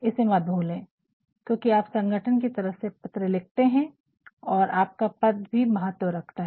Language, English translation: Hindi, Never forget because you are writing from an organization, so your designation also matters